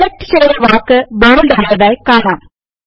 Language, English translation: Malayalam, You see that the selected text becomes bold